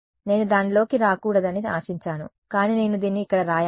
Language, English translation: Telugu, I was hoping to not get into it, but I will let us write this over here